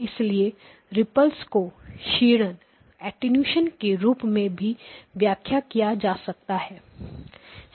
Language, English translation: Hindi, So this is well known and therefore ripple can also be interpreted as attenuation